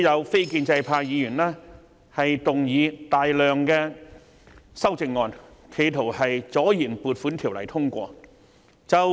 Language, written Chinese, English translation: Cantonese, 非建制派議員每年都動議大量修正案，企圖阻延撥款條例草案通過。, Members of the non - establishment camp would move a large number of amendments every year in an attempt to procrastinate the passage of an Appropriation Bill